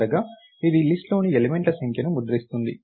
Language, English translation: Telugu, Finally, this one prints the number of elements in the list